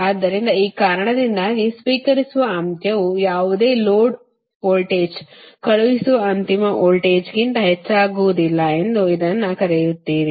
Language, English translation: Kannada, so because of that, your, what you call this, that this receiving no load voltage is becoming higher than the sending end voltage